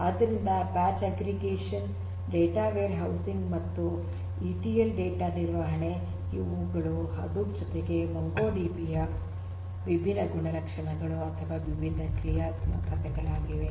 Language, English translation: Kannada, So, batch aggregation data warehousing and ETL data handling these are the different characteristics of or the different functionalities of the MongoDB along with Hadoop